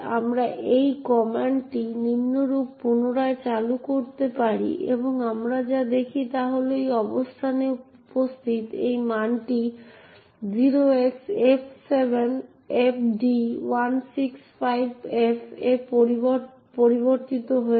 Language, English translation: Bengali, So, we can rerun this same command as follows and what we see is that this value present in this location has changed to F7FD165F